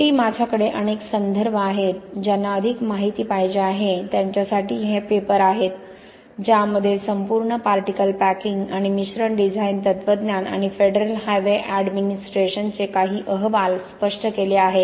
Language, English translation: Marathi, Finally I have a bunch of references here for anybody wanting to look at more and there are paper’s where we have explained the entire particle packing and mixture design philosophies and some reports from Federal Highway Administration that have explained the advantages of UHPC where it is used